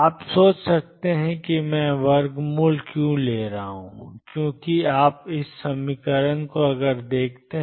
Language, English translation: Hindi, You may wonder why I am taking the square root, because you see expectation value of x minus mod x is 0